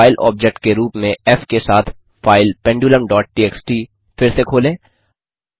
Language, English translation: Hindi, Re open the file pendulum dot txt with f as the file object